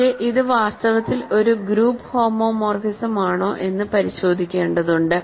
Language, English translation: Malayalam, So, I claim that in fact, I wrote this here, but one has to check that it is in fact, a group homomorphism